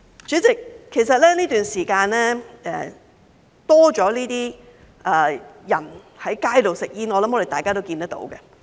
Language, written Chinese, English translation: Cantonese, 主席，其實這段時間多了這些人在街上吸煙，我相信大家也看到。, President in fact more people are smoking on the streets during this period and I believe Members can also see that